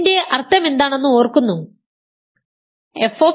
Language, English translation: Malayalam, Remember what is the meaning of this